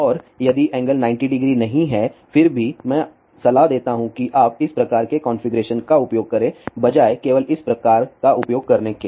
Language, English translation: Hindi, And if the angle is not 90 degree still I recommend that you use this kind of a configuration then of using only this type